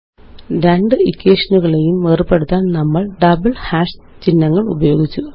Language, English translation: Malayalam, We have used the double hash symbols to separate the two equations